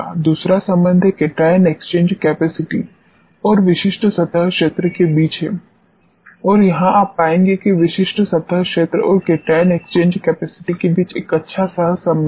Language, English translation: Hindi, The second relationship is the between the cation exchange capacity and the specific surface area and here you will find that there is a good correlation between the specific surface area and cation exchange capacity